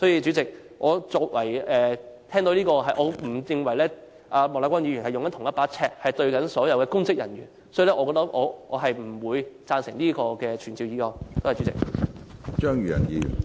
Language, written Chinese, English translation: Cantonese, 主席，我不認為莫乃光議員用同一把尺對待所有公職人員，所以我不贊成這項傳召議案。, President as I do not think Mr Charles Peter MOK has applied the same yardstick to all public officers I therefore do not support this summoning motion